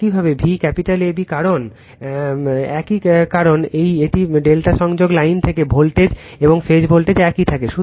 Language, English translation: Bengali, Similarly V capital AB same because your from a delta connection your line voltage and phase voltage remains same right